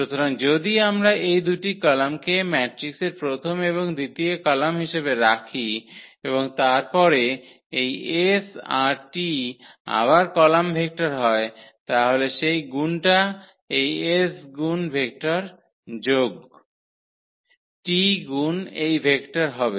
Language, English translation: Bengali, So, if we put these 2 columns as the first and the second column of a matrix and then this s t again column vector there, so that multiplication which exactly give this s times this vector plus t times this vector